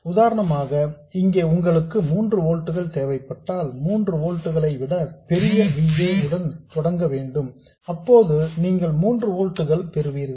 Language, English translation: Tamil, For instance if you wanted 3 volts here you would start with the VA that is larger than 3 volts and at this point you will get 3 volts